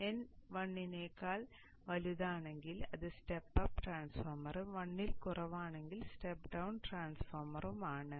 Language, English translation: Malayalam, N can be greater than 1 for stepping up, n can be less than 1 for stepping down